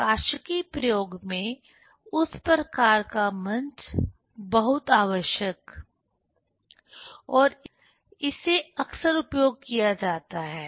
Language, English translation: Hindi, So, that type of stage is also very essential and very frequently used in optics experiment